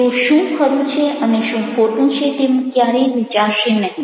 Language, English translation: Gujarati, they will never think that what is right and what is wrong